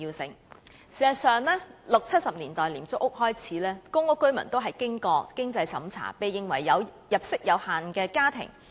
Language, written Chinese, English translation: Cantonese, 事實上，由1960年代、1970年代的廉租屋開始，公屋居民均須經過經濟審查，評定為入息有限的家庭。, As a matter of fact starting from the low - cost housing estates in 1960s and 1970s PRH residents must undergo a means test for assessment as households with limited income